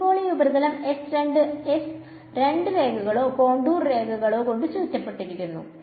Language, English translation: Malayalam, So, now, this surface s over here is bounded by two lines or contours right